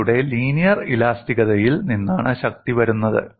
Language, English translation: Malayalam, The strength comes from your linear elasticity that is what is important